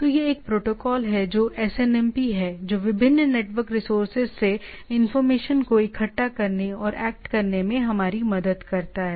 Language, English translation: Hindi, So, this is one of the protocol which is SNMP which gives that it helps us in collecting and acting on the informations from different network resources